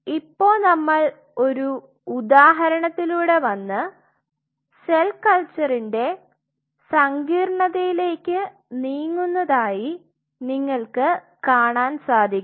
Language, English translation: Malayalam, So, you see now slowly we are moving with one example we are moving to the complexity of cell culture